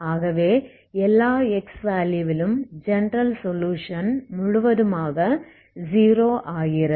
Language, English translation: Tamil, So my general solution becomes 0 completely, okay for every x